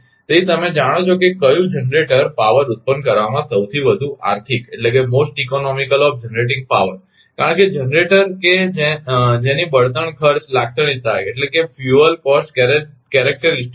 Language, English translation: Gujarati, So, you know that which which generator is most economical of generating power because, generator that fuel cost characteristic are different